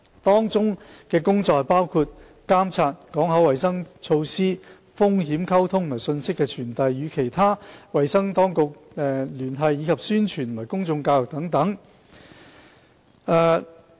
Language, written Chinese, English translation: Cantonese, 當中工作包括加強監測、港口衞生措施、風險溝通和信息傳遞；與其他衞生當局聯繫；以及宣傳和公眾教育等。, The work includes surveillance port health measures risk communication and information dissemination liaison with other health authorities as well as promotion and public education